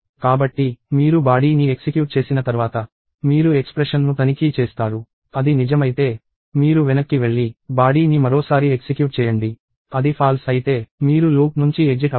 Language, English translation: Telugu, So, once you execute the body, you then check expression; if it is true, you go back and execute the body once more; if it is false, you exit the loop